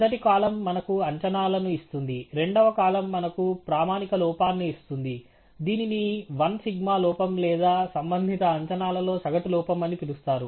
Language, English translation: Telugu, The first column gives us the estimates; the second column gives us the standard error as we call one sigma error or the average error in the respective estimates